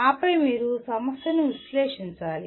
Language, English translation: Telugu, And then you have to analyze the problem